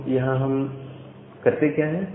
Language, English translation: Hindi, So, what we do here